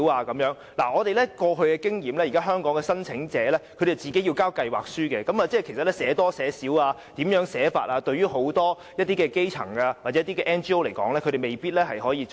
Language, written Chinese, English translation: Cantonese, 根據我們過往的經驗，現時香港的申請者須自行提交計劃書，究竟應寫多一些還是寫少一些資料或如何擬備等，對很多基層或 NGO 而言是未必懂得怎樣做的。, We knew from our past experience that applicants for holding bazaars in Hong Kong have to submit their own plans . Many grass - roots people or non - governmental organizations may not know what information should be included in their plans or how to prepare their plans